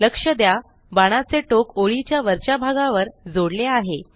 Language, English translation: Marathi, Note that an arrowhead has been added to the top end of the line